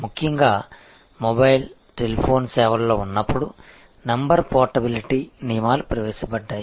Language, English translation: Telugu, Particularly, when in mobile, telephone services, the number portability rules have been introduced